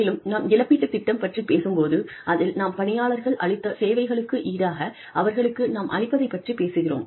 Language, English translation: Tamil, And, when we talk about a compensation plan, we are talking about, what we give to our employees, in return for their services